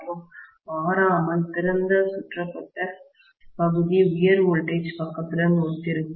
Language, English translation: Tamil, And invariably the open circuited portion will correspond to high voltage side